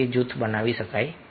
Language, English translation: Gujarati, they form a group